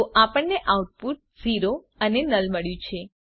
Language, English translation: Gujarati, So we got the output as 0 and null